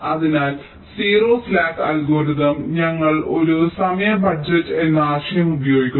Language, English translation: Malayalam, ok, so in the zero slack algorithm we are using the concept of a time budget